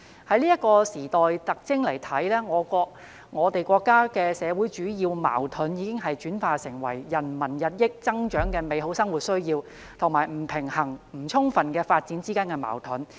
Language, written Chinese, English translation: Cantonese, 從這時代特徵看來，我們國家的社會主要矛盾已經轉化為人民日益增長的美好生活需要，以及不平衡不充分的發展之間的矛盾。, According to this characteristic of the period the major social conflict of our country has already transformed into the conflict between peoples increasing need of a better livelihood and the unbalanced and uneven development